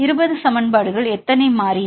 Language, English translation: Tamil, So, 20 equations how many variables